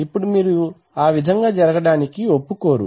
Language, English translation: Telugu, Now you do not want to allow that